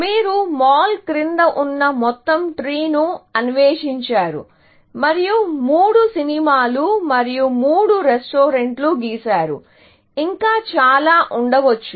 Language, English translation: Telugu, Because you explored the entire tree below mall, and I have drawn three movies and three restaurants; they could have been many more, essentially